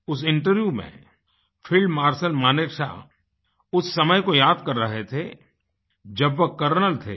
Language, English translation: Hindi, In that interview, field Marshal Sam Manekshaw was reminiscing on times when he was a Colonel